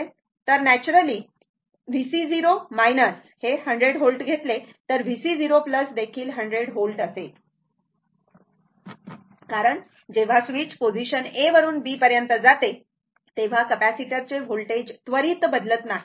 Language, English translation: Marathi, So, naturally V C 0 minus is equal to take 100 volt is equal to V C 0 plus because your voltage through a capacitor when switch move ah move from position A to B it cannot change instantaneously